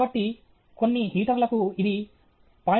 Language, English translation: Telugu, So, for some heater it is 0